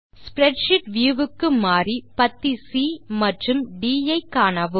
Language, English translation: Tamil, Then move the spreadsheet view so you can see column C and D